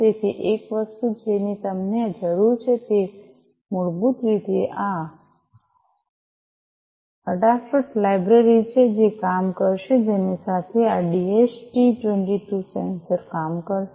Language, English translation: Gujarati, So, one thing that you need is basically this adafruit library, which will work with which will make this DHT 22 sensor to work